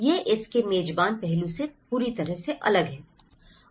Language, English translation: Hindi, It is completely different from the host aspect of it